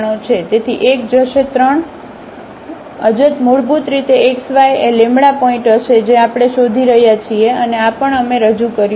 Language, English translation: Gujarati, So, 1 will go 3 unknowns basically the x y will be the points we are looking for and also this lambda we have introduced